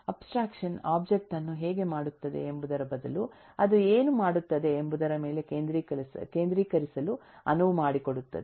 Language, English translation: Kannada, abstraction will allow focusing on what the object does instead of how it does it